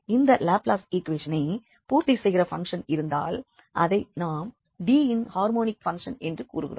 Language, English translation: Tamil, So, if a function satisfy this Laplace equation, then we call such a function harmonic function in D